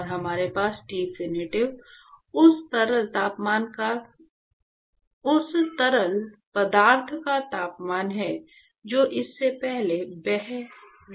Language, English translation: Hindi, And we have Tinfinity is the temperature of the fluid which is flowing past it